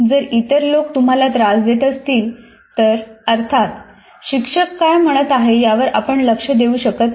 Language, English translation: Marathi, If the other people are disturbing you, obviously you cannot focus on what the teacher is saying